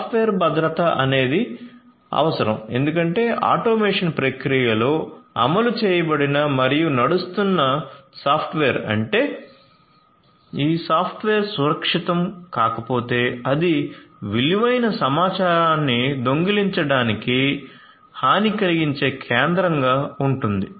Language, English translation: Telugu, So, there is need for software security, because if the software that is implemented and is running in the automation process, if that software is not secured that can pose as a vulnerable point to steal valuable information